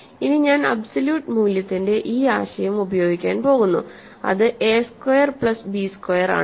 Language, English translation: Malayalam, Then, I am going to use this notion of absolute value which is a squared plus b squared